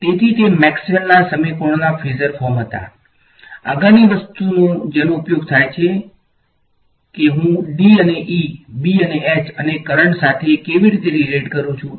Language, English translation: Gujarati, So, those were the phasor forms of Maxwell’s equations; the next thing that is used is how do I relate D and E, B and H and the current